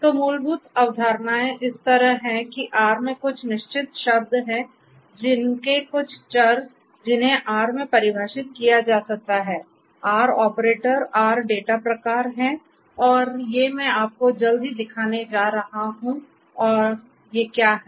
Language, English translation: Hindi, So, the fundamental concepts are like this that there are certain reserved words in R, their certain variables that can be defined in R, there are R operators, R data types and these I am going to show you shortly and what are these and you know is just a simple instance of all of these is what I am going to show you